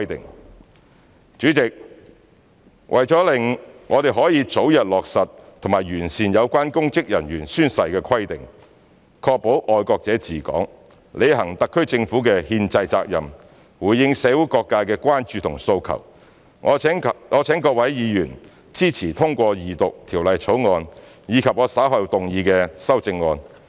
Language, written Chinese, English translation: Cantonese, 代理主席，為了讓我們可以早日落實及完善有關公職人員宣誓規定，確保"愛國者治港"，履行特區政府的憲制責任，回應社會各界的關注及訴求，我請各位議員支持通過二讀《條例草案》，以及我稍後動議的修正案。, Deputy President in order to implement and improve the relevant provisions on oath - taking by public officers at an early date so as to ensure that patriots administering Hong Kong the SAR Government fulfilling the constitutional responsibility and responding to the concerns and aspirations of various sectors of the community I urge Members to support the passage of the Second Reading of the Bill and the amendments that I will move later